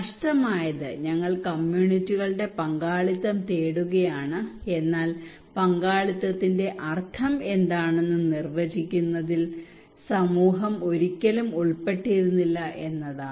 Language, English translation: Malayalam, What is missing is that we are seeking communities participations but community had never been involved in defining what is the meaning of participations